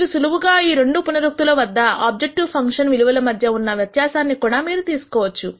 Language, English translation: Telugu, You could also simply take the difference between the objective function values in two iterations for example